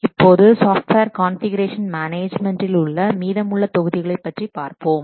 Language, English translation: Tamil, Now let's see the remaining portion of software configuration management